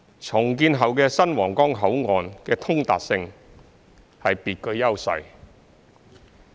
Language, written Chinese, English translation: Cantonese, 重建後的新皇崗口岸的通達性是別具優勢的。, The accessibility of the redeveloped Huanggang Port will be exceptionally advantageous